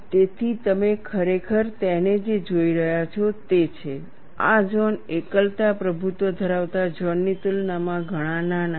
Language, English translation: Gujarati, So, what you are really looking at it is, these zones are much smaller compare to the singularity dominated zone, that is the key point here